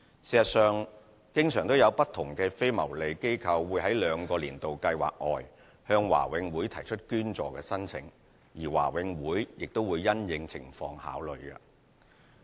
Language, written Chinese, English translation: Cantonese, 事實上，常有不同非牟利機構會在兩個"年度計劃"外向華永會提出捐助申請，而華永會亦會因應情況考慮。, In fact non - profit - making organizations often apply for donations from BMCPC outside the two annual schemes . BMCPC will consider such applications on their individual merits